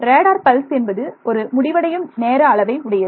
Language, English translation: Tamil, So, like a radar pulse has a finite time duration right